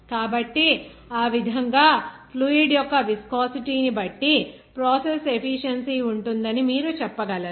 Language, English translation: Telugu, So, in that way, you can say that the process efficiency will be depending on the viscosity of the fluid